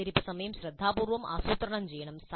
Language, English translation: Malayalam, So these wait times must be planned carefully